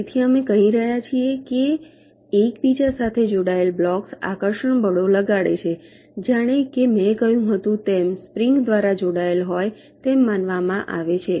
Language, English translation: Gujarati, so we are saying that the blocks connected to each other are suppose to exert attractive forces, just like as if they are connected by springs